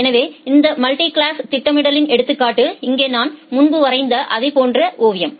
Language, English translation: Tamil, So, here is the example of this multiclass scheduling, the similar kind of figure that I have drawn earlier